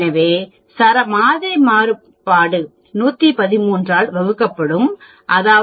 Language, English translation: Tamil, So, you get like this, the sample variance will be divided by 113 that is 1